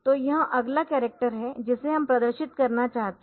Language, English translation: Hindi, So, that is the next character that we want to display